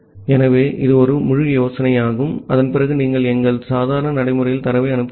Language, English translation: Tamil, So, that is this entire idea and after that you send the data in our normal procedure